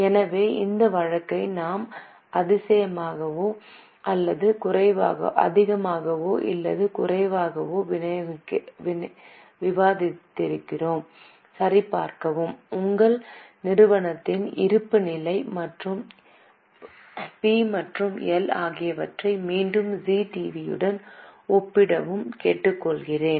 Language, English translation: Tamil, So, with this we have more or less discussed this case, I will request you to verify and once again compare the balance sheet and P&L of your company with ZTV